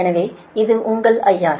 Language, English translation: Tamil, that means this is i r